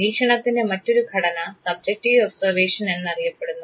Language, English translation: Malayalam, There is another format of observation what is called as Subjective Observation